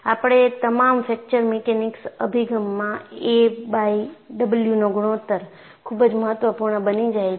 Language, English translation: Gujarati, In all our fracture mechanics approach, the ratio of a by W will become very very important